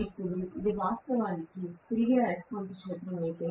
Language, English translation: Telugu, Now, if this is actually my permanent, the revolving magnetic field